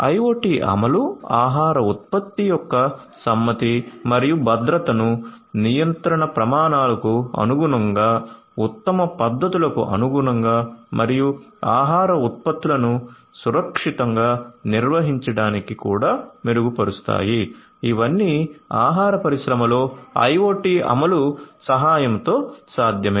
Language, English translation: Telugu, So, IoT implementations can also improve compliance and safety of the food product, compliance to regulatory standard, compliance to best practices and also safe handling of the food products, these are all possible with the help of IoT implementation in the food industry